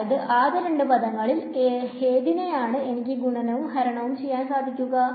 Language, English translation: Malayalam, So, in the in the first two terms what I can do is multiply and divide by